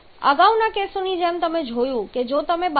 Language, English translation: Gujarati, So, like in the previous quiz we have seen that 12